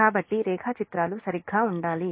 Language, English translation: Telugu, so diagrams will be right